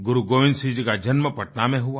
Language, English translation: Hindi, Guru Gobind Singh Ji was born in Patna